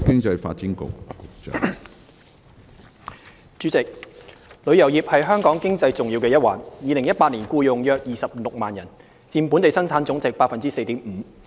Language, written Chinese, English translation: Cantonese, 主席，旅遊業是香港經濟重要的一環 ，2018 年僱用約26萬人，佔本地生產總值 4.5%。, President tourism is a key sector of the Hong Kong economy . In 2018 tourism employed around 260 000 persons and accounted for 4.5 % of Gross Domestic Product